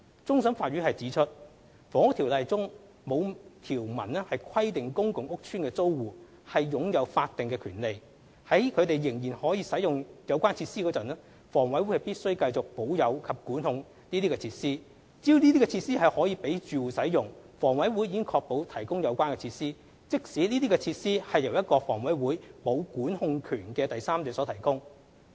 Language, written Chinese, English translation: Cantonese, 終審法院指出，《房屋條例》中沒有條文規定公共屋邨的租戶擁有法定權利，在他們仍然使用有關設施時，房委會必須繼續保有及管控這些設施。只要設施可供住戶使用，房委會已確保提供有關設施，即使這些設施是由一個房委會沒有管控權的第三者所提供。, According to CFA it was not stipulated in the Housing Ordinance that tenants of PRH had any statutory right to the continued retention and control by HA of the facilities while the tenants were still using the facilities; and so long as the facilities were available to tenants it meant that HA had secured the provision of such facilities even if they were provided by a third party over whom HA had no control